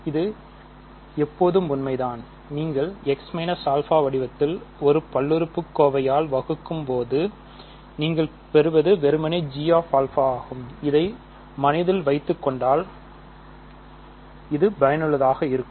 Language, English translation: Tamil, So, this is always true, when you are dividing by a polynomial of the form x minus alpha, what you get is simply g of alpha ok